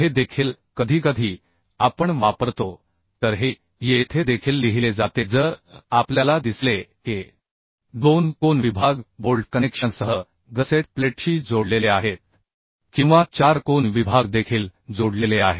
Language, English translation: Marathi, then this is written here also, if we see this: two angle sections are connected with a gusset plate with bolt connection or four angle sections are also connected